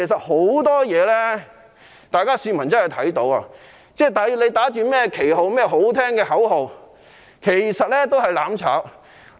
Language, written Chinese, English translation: Cantonese, 很多事情大家也是看到的，他們打着甚麼旗號、喊着漂亮的口號，其實只是"攬炒"。, Many things are obvious to all . Even when they are brandishing banners and chanting noble slogans they are actually doing these for mutual destruction